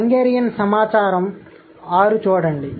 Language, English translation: Telugu, Look at the Hungarian data in 6